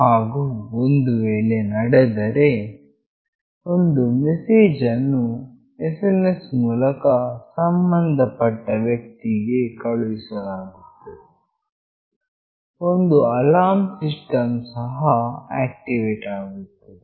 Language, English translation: Kannada, And if so, a suitable message is sent to the concerned person over SMS, an alarm system is also activated